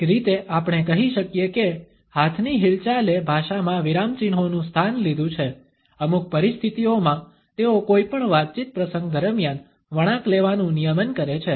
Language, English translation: Gujarati, In a way we can say that hand movements have taken the place of punctuation in language, in certain situations they regulate turn taking during any conversation event